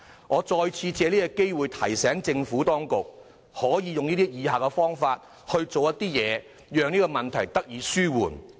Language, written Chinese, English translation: Cantonese, 我借此機會再次提醒政府當局，考慮採取以下方法讓他們的住屋問題得以紓緩。, I would like to take this opportunity to remind the Administration to consider adopting the following methods to ameliorate their housing problem